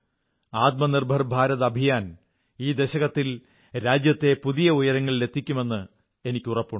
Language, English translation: Malayalam, I firmly believe that the Atmanirbhar Bharat campaign will take the country to greater heights in this decade